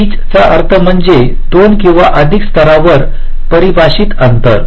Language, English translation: Marathi, pitch means gap, ah, defined gaps on two or more layers